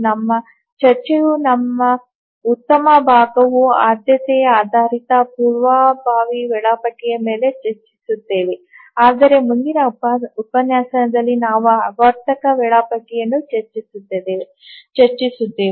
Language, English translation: Kannada, We will discuss our good portion of our discussion is on the priority based preemptive schedulers but in the next lecture we'll discuss about the cyclic schedulers